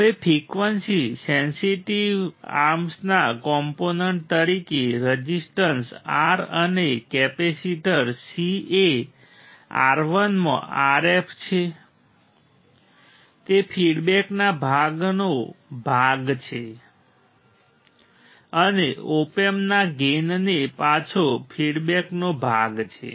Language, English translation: Gujarati, Now the resistance R and capacitor C as a component of frequency sensitive arms is R f in R 1 are the part of the feedback part right are the part of the feedback back the gain of Op amp